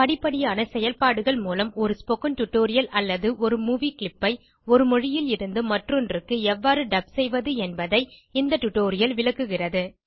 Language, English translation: Tamil, This tutorial will explain how to dub a spoken tutorial or a movie clip from one language into another through a step by step process